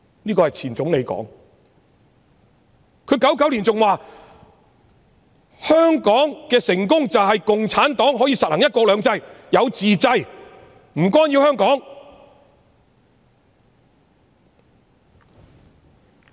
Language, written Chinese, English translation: Cantonese, 這是前總理說的，他在1999年還說香港的成功便是共產黨實行"一國兩制"、能夠自制、不干擾香港。, This is said by a former Premier . He even said in 1999 that the success of Hong Kong would be CPC giving effect to one country two systems exercising self - restraint and refraining from interfering with Hong Kong